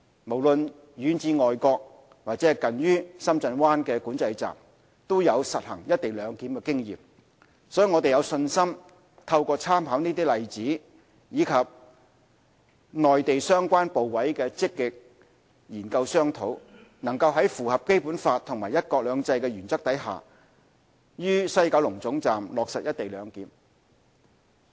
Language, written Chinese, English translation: Cantonese, 無論遠至外國或近於深圳灣管制站，都有實行"一地兩檢"的經驗，所以我們有信心透過參考這些例子，以及與內地相關部委的積極研究商討，能在符合《基本法》和"一國兩制"的原則下於西九龍總站落實"一地兩檢"。, There is experience in implementing co - location no matter in other countries or in the Shenzhen Bay Control Point . We are therefore confident that through making reference to such examples and active discussion with the relevant Mainland authorities we can implement co - location at WKT in compliance with the Basic Law and the principle of one country two systems